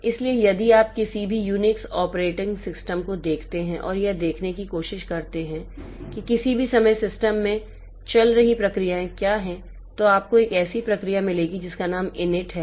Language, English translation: Hindi, So, if you look into any Unix operating system and try to see what are the processes running in the system now at any point of time you will find a process whose name is in it